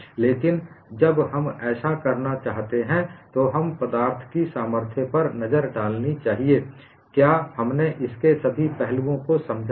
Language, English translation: Hindi, So, when we want to do that, let us look at in strength of materials, have we understood all aspects of it